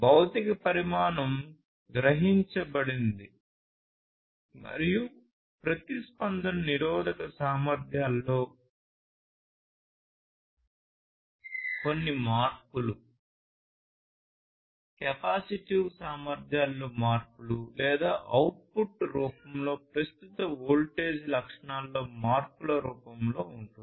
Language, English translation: Telugu, So, then we have that something is sensed and the response is in the form of some changes in the resistive capacities, changes in the capacitive capacities and so on or changes in current voltage characteristics in